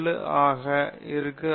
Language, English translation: Tamil, 7 into 0